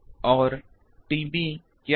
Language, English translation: Hindi, And what is T B